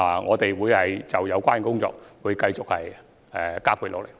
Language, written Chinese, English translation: Cantonese, 我們會就有關工作繼續加倍努力。, We will continue with our endeavours to accomplish the relevant work